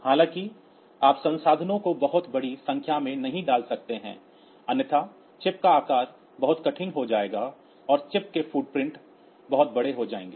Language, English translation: Hindi, However so you cannot put the resources to a very large value otherwise the size of the chip will become very hard very large the footprint of the chip will become large